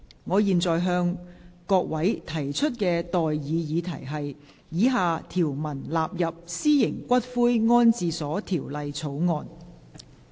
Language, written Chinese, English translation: Cantonese, 我現在向各位提出的待議議題是：以下條文納入《私營骨灰安置所條例草案》。, I now propose the question to you and that is That the following clauses stand part of the Private Columbaria Bill